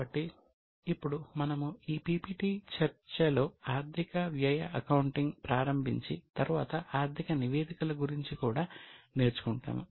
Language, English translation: Telugu, So, now we will start in this PPP discussion on comparison between financial cost accounting and then we will also learn about financial statements